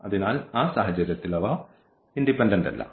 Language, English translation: Malayalam, So, they are not independent in that case